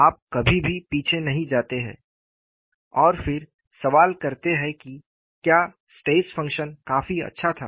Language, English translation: Hindi, You never go back and then question, whether the stress function was reasonably good enough